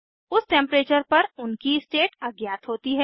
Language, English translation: Hindi, Their state is unknown at that Temperature